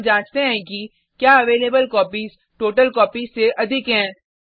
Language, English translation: Hindi, Then we check if available copies exceed the totalcopies